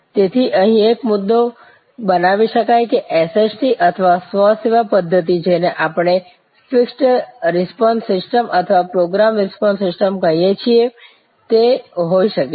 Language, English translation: Gujarati, So, a point can be made here that is SST or Self Service Technology systems can be what we call fixed response systems or program response system